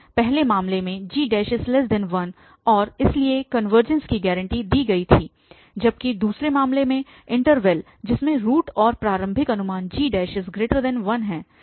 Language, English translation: Hindi, In the first case the g prime was less than 1 and hence the convergence was guaranteed, whereas in the second case the interval containing the root and the initial guess the g prime was greater than 1